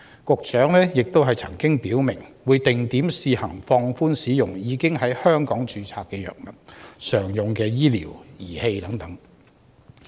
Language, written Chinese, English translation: Cantonese, 局長亦曾表明，會定點試行放寬使用已在香港註冊的藥物、常用醫療儀器等。, Also the Secretary has specified that the use of Hong Kong - registered drugs and commonly - used medical devices will be relaxed at selected Mainland municipalities under a pilot scheme